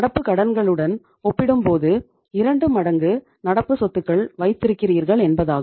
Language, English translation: Tamil, It means you are keeping 2 times of the current assets as compared to current liabilities